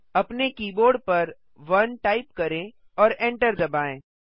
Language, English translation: Hindi, Type 1 on your keyboard and press enter